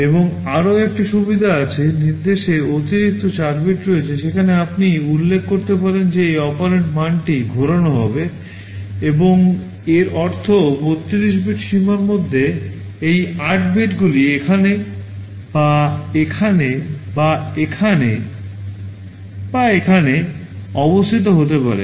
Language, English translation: Bengali, And there is another facility, there are additional 4 bits in the instruction where you can specify that these operand value will be rotated and means within that 32 bit range these 8 bits can be positioned either here or here or here or here